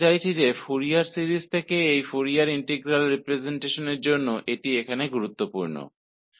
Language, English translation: Hindi, I mean, this is important here for the transition from Fourier series to this Fourier integral representation